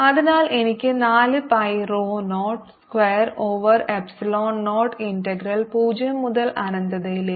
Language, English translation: Malayalam, so i get four pi rho zero, square over epsilon, zero, integral zero to infinity